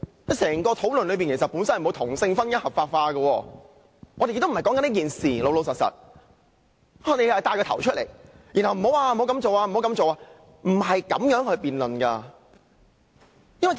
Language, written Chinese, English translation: Cantonese, 其實，整個討論與同性婚姻合法化無關，我們並非討論這事，但他卻牽頭提出討論，還要不斷表示不可這樣做。, In fact the legality of same - sex marriage is irrelevant to the present discussion . We are not discussing this issue . Why did he initiate such a discussion and keep saying that the proposal is unacceptable?